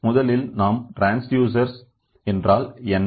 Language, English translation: Tamil, So, first of all, we will see what is the transducer